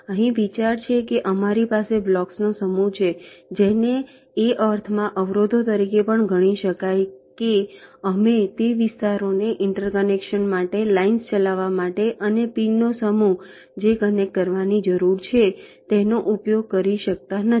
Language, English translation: Gujarati, here the the idea is that we have a set of blocks ok, which can also be regarded, ah, as obstacles, in the sense that we cannot use those areas for interconnections, for running the lines, and a set of pins which needs to be connected